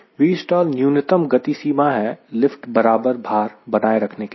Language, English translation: Hindi, v stall means minimum speed required to maintain lift equal to weight